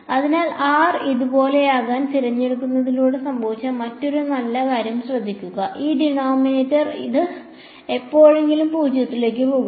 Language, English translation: Malayalam, So, notice another nice thing that happened by choosing r to be this way, this denominator will it ever go to 0